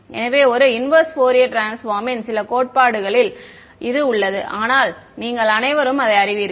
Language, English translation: Tamil, And so, there is some theory of a inverse Fourier transform, but you all know that